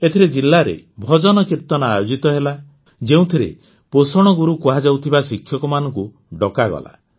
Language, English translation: Odia, Under this, bhajankirtans were organized in the district, in which teachers as nutrition gurus were called